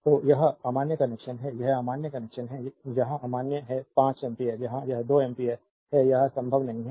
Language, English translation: Hindi, So, this is invalid connection this is invalid connection here it is invalid 5 ampere here it is 2 ampere it is not possible